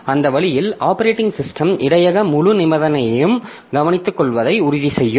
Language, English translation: Tamil, So that way, so the operating system will ensure that the buffer full condition is taken care of by itself